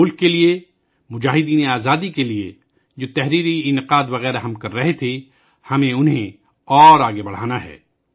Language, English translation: Urdu, For the country, for the freedom fighters, the writings and events that we have been organising, we have to carry them forward